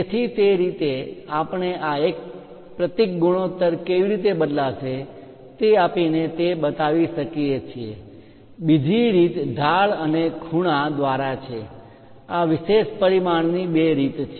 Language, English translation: Gujarati, So, that way also we can really show it one by giving how this taper symbol ratio is going to change, the other way is through slope and angle these are two ways of special dimensioning